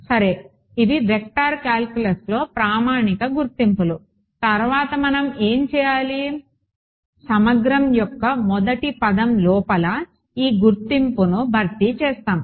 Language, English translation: Telugu, Ok these are standard identities in vector calculus ok, next what do we do we will substitute this identity inside the first term of the integral